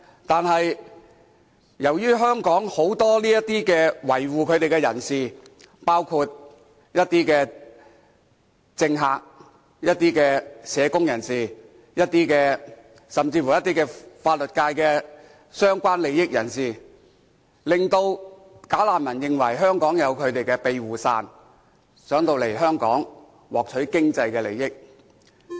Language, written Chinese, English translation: Cantonese, 但是，由於香港很多維護他們的人士，包括一些政客、一些社工，甚至乎法律界中一些涉及相關利益的人士，令"假難民"認為香港有他們的庇護傘，想來香港獲取經濟利益。, However since many people in Hong Kong jump to their defence including some politicians some social workers and even some people with vested interests in the legal field bogus refugees think that they can make use of the protective umbrella in Hong Kong to further their financial interests